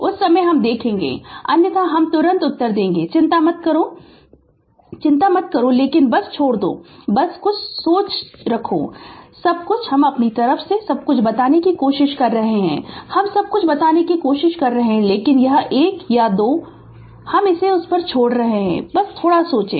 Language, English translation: Hindi, At that time, we will see it otherwise, I will answer immediately do not worry [laughter] do not worry, but just leaving up to you just have some thinking everything, we are trying to tell everything ah from my side I am trying my best to tell everything, but this is one or 2 I am leaving it to you that just think right